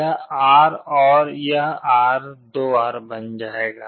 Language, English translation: Hindi, This R and this R will become 2 R